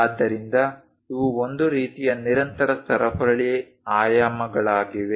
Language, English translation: Kannada, So, these are parallel these are a kind of continuous chain dimensioning